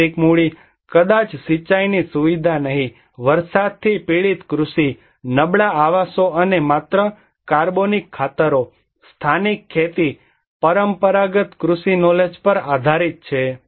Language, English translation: Gujarati, Physical capital: maybe no irrigation facility, depends on rain fed agriculture, poor housing, and organic fertilizers only, local farming technology, traditional agricultural knowledge